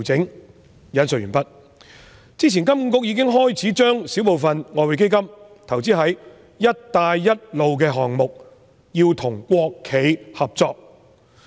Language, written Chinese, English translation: Cantonese, "金融管理局之前已經開始把小部分外匯基金的資產投資在"一帶一路"項目，要與國企合作。, End of quote The Hong Kong Monetary Authority started investing a small part of the Exchange Fund in Belt and Road projects in collaboration with state - owned enterprises